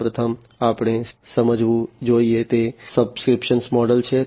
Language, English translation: Gujarati, The first one that we should understand is the subscription model